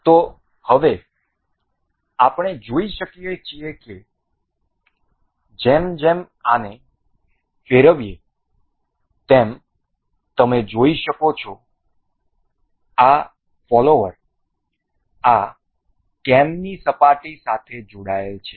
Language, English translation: Gujarati, So, now we can see as we rotate this you can see, this follower is attached to the surface of this cam